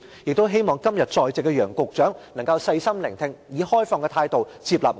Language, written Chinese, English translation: Cantonese, 我希望今天在席的楊局長能夠細心聆聽，以開放的態度接納我們的意見。, I hope Secretary Nicholas YANG who is present today can listen to our speeches carefully and accept our views with an open mind